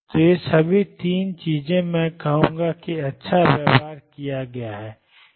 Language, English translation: Hindi, So, all these 3 things I would say are the well behaved psi